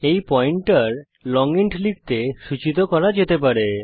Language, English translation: Bengali, This pointer can point to type long int